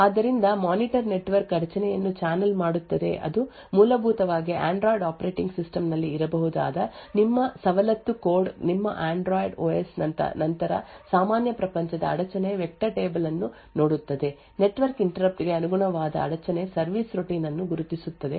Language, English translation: Kannada, So therefore the monitor would channel the network interrupt to your privileged code which essentially could be at Android operating system your Android OS would then look up the normal world interrupt vector table identify the interrupt service routine corresponding to the network interrupt and then execute that corresponding service routine